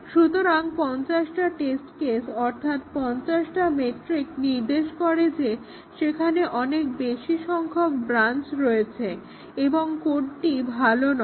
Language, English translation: Bengali, So, 50 test cases, 50 McCabe’s metric indicates that there are too many branches there and the code is not good